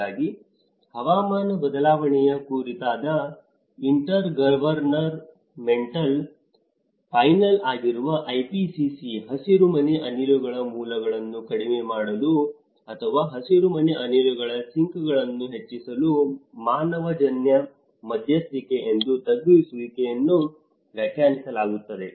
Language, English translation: Kannada, So, the IPCC which is the Intergovernmental Panel on Climate Change defines mitigation as an anthropogenic intervention to reduce the sources or enhance the sinks of greenhouse gases